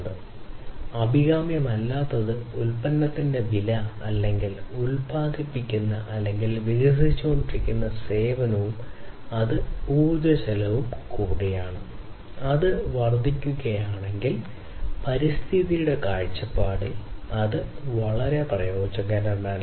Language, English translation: Malayalam, So, what is also not desirable is to increase the cost of the product or the service that is being generated or being developed and also it is also the cost of energy, if it increases it is not very useful from the environment point of view as well